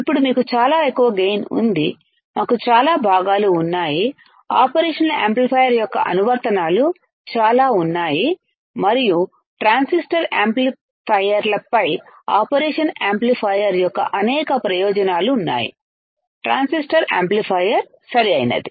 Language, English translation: Telugu, So, now, you got it right said that we have very high gain, we have lot of components, there are a lot of application of operational amplifier, and there are several advantages of operational amplifier over transistor amplifiers, over transistor amplifier correct